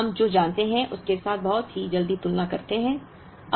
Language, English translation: Hindi, Now, let us make a very quick comparison with what we know